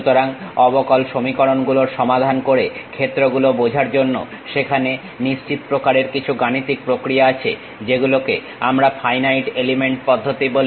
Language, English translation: Bengali, So, there are certain mathematical processes to solve differential equations to understand the fields, which we call finite element methods